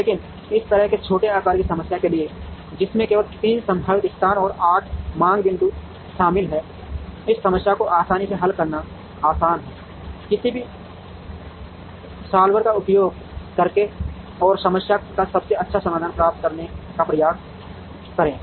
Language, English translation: Hindi, But, for smaller sized problem such as this, which involves only 3 potential locations and 8 demand points, it is always easy to solve this problem optimally, using any solver and try to get the best solution to the problem